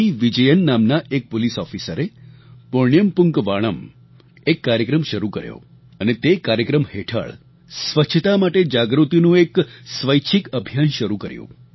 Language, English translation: Gujarati, Vijayan initiated a programme Punyam Poonkavanam and commenced a voluntary campaign of creating awareness on cleanliness